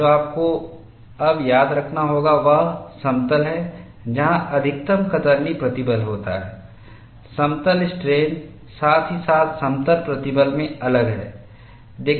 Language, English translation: Hindi, And what you will have to now remember is the plane where the maximum shear stress occurs, is different in plane strain, as well as plane stress